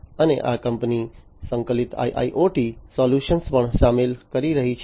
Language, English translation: Gujarati, And this company is also incorporating integrated IIoT solutions